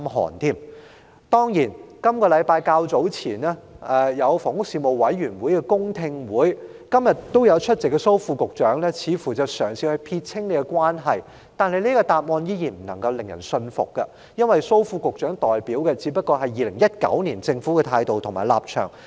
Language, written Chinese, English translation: Cantonese, 房屋事務委員會在本周較早前舉行了公聽會，今天也有列席的蘇副局長當時嘗試撇清關係，但他的答案依然未能令人信服，因他所代表的只是政府2019年的態度及立場。, The Panel on Housing held a public hearing some time ago this week . At the hearing Under Secretary Dr Raymond SO who is present today tried to wash his hands of the case but his answer is unconvincing for the attitude and stance he presented are merely the attitude and stance adopted by the Government in 2019